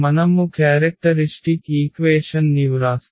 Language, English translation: Telugu, So, if we write down the characteristic equation